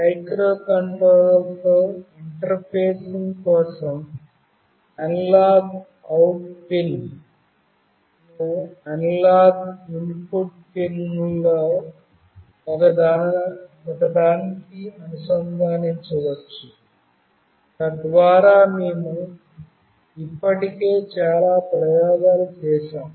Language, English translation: Telugu, For interfacing with the microcontroller, the analog out pin can be connected to one of the analog input pins, so that we have already done for most of the experiments